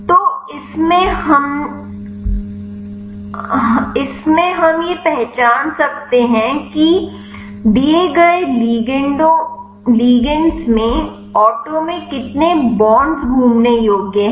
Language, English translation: Hindi, So, in this we can identify how many bonds are rotatable in the auto in the given ligand